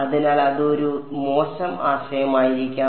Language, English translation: Malayalam, So, maybe that is a bad idea